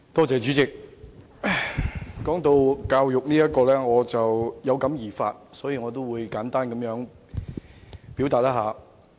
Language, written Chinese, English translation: Cantonese, 主席，談到教育問題，我有感而發，想簡單表達我的意見。, President talking about education I suddenly have a certain feeling and I would like to share my views briefly